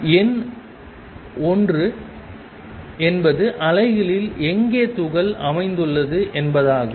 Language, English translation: Tamil, Number one is where in the wave Is the particle located